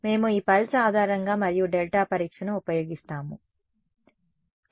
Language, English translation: Telugu, We use this pulse basis and delta testing ok